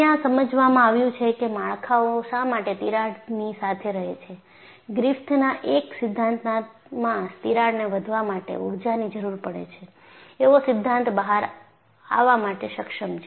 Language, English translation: Gujarati, In order to explain, why structures remain with cracks, Griffith was able to come out with a theory that, you need energy for the crack to grow